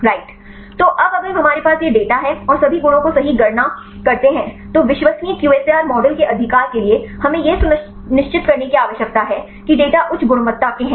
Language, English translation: Hindi, So, now if we have these data and calculate the all the properties right, then to reliable QSAR models right we need to ensure the data are of high quality